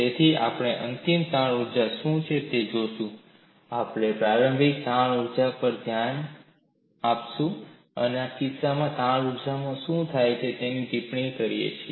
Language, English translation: Gujarati, So, we will look at what is the final strain energy, we look at the initial strain energy, and comment what happens to the strain energy in this case